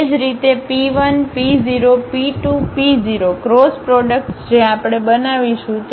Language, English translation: Gujarati, Similarly P 1, P 0; P 2, P 0 cross products we will construct